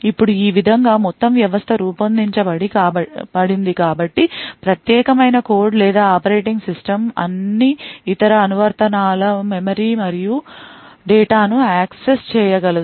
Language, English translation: Telugu, Now the entire system is designed in such a way So, that the privileged code or operating system is able to access the memory and data of all other applications